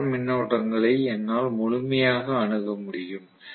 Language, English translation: Tamil, So I have complete access to the rotor currents